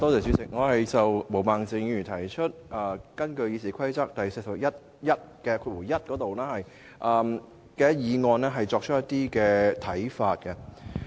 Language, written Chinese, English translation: Cantonese, 主席，我想就毛孟靜議員根據《議事規則》第401條動議的議案提出一些看法。, President I would like to express my views regarding the motion moved by Ms Claudia MO under Rule 401 of the Rules of Procedure